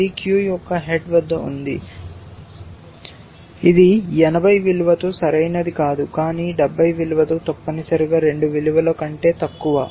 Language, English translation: Telugu, This is at the head of the queue sorry, this is not correct with the value of 80, but with value of 70 essentially the lower of the 2 values